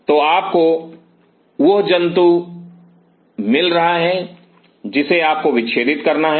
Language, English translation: Hindi, So, you are you are getting the animal you have to dissected